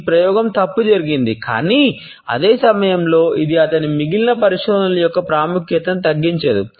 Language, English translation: Telugu, This experiment had gone wrong, but at the same time this does not undermine the significance of the rest of his research